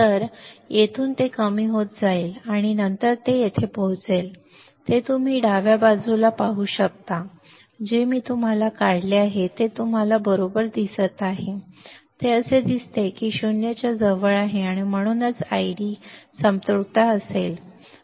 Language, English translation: Marathi, So, from here it will go on decreasing and then it will reach here, what you can see here on the left side, what I have drawn you see right it looks like it is approaching 0, and that is why I D would be I D saturation